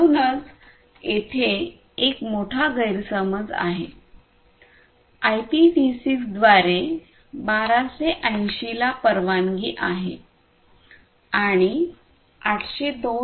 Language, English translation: Marathi, So, now, you see that there is a big mismatch one 1280 is permitted by IPv6 and 802